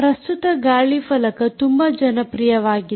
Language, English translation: Kannada, currently, windshield tags are become very popular